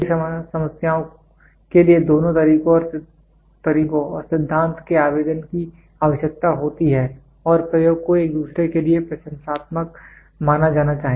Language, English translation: Hindi, Many problems require the application of both methods and theory and experiment should be thought of as a complimentary to each other